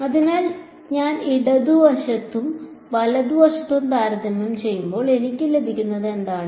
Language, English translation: Malayalam, So, when I compare both the left hand side and the right hand side what I get is